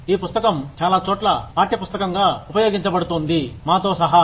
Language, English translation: Telugu, A book, that is being used, as a textbook in many places, including ours